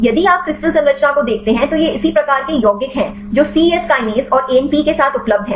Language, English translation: Hindi, If you see the crystal structure these are similar type of compound available with the C Yes Kinase and ANP